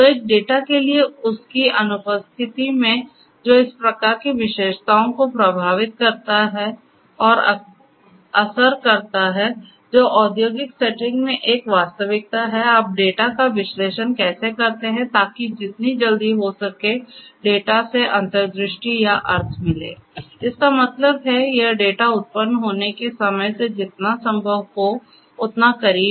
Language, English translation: Hindi, So, in the absence of that for a data which is unstructured and bearing these kind of characteristics which is a reality in the industrial settings, how do you analyze the data in order to have insights or meaning out of the data as soon as possible; that means, as close as possible to the time when this data gets generated